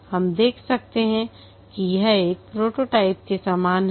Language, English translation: Hindi, You can see that it is similar to a prototype